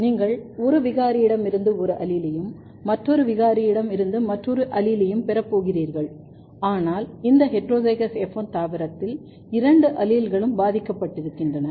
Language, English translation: Tamil, You are going to have one allele from one mutant and another allele from another mutants, but in both the cases, but in this heterozygous F1 plant both the alleles are disrupted